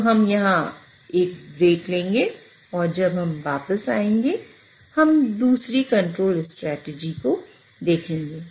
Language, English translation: Hindi, So, we'll take a bike here and when we come back we'll look at the other control strategies